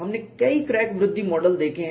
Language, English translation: Hindi, We have seen several crack growth models